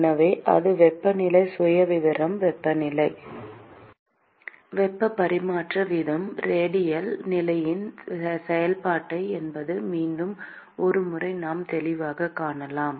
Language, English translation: Tamil, So, that is the temperature profile; and once again we can clearly see that the temperature the heat transfer rate is a function of the radial position